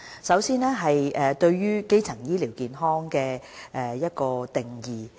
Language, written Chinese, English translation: Cantonese, 首先是有關"基層醫療健康"的定義。, First I wish to deal with the definition of primary health care